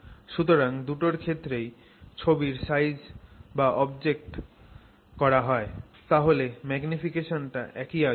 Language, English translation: Bengali, So, both of them, if you take the image size by the actual object size, the magnification is the same